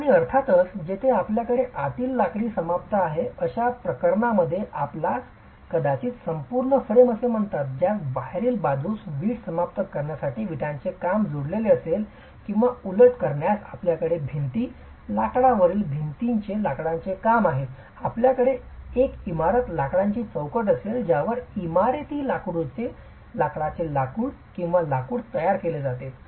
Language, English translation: Marathi, And of course in cases where you have an interior wood finish you might have what is called an entire frame that is attached, a frame onto which the brickwork is attached for a brick finish on the exterior or vice versa if you have timber work on the interior on a load bearing brick masonry wall, you would have a timber frame inside onto which timber sheathing or timber finish is provided